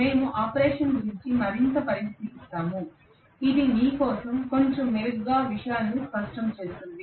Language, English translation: Telugu, We will look at the operation further which will probably clarify matters a little better for you okay